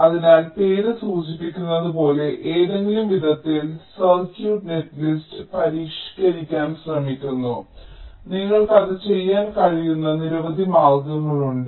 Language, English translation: Malayalam, so, as the name implies, we are trying to modify ah circuit netlist in some way and there are many ways in which you can do that